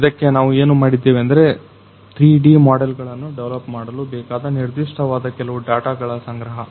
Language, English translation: Kannada, So, what we did is for this we have to collect some particular data how to develop these 3D models